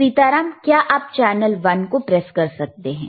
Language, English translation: Hindi, Sitaram, can you please press channel one